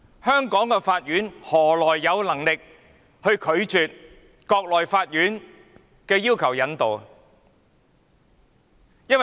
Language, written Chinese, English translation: Cantonese, 香港法院何來有能力拒絕國內法院的引渡要求？, How can the courts of Hong Kong reject extradition requests from the courts of the Mainland?